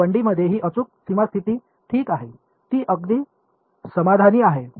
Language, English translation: Marathi, So, in 1D this is an exact boundary condition ok, it is exactly satisfied